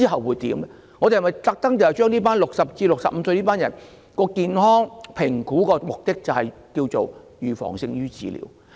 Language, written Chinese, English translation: Cantonese, 為60歲至64歲這組群人士進行健康評估的目的是預防勝於治療。, Health assessment should be conducted for this group of people aged between 60 and 64 because prevention is better than cure